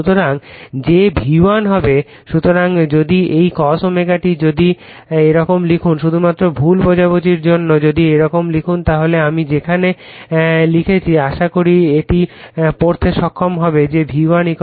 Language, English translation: Bengali, So, if you your what you call this cos omega t if you write like this for you just misunderstanding if you write like this some where I am writing hope you will be able to read it that your V1 = your N1 then ∅ m